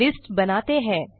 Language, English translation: Hindi, So let us create a list